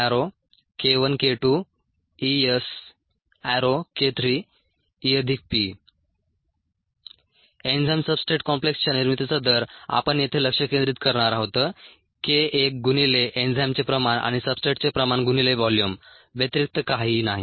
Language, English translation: Marathi, the rate of ah generation of the enzyme substrate complex we going to focus here is nothing but k one into the concentrations of enzyme and substrate into the volume